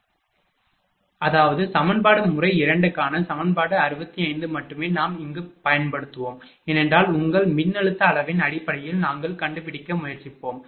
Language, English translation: Tamil, And that; that means, same equation that equation 65 for method 2 only we will use here, because are all will try to find out in terms of your voltage magnitude, right